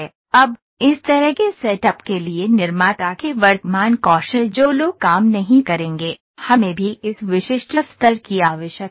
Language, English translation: Hindi, Now, for this kind of this setup the present skills of the manufacturer the production people would not work, we also need to have this specific level